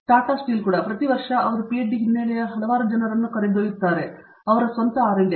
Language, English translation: Kannada, Including even Tata steel, every year he is taking a number of people with a PhD background so, for their own R&D